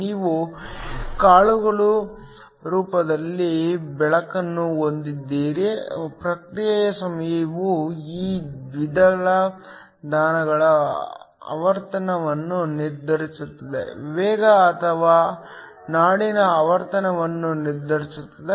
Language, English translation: Kannada, If you have light in the form of pulses, the response time determines the frequency of these pulses, determines the speed or the frequency of the pulse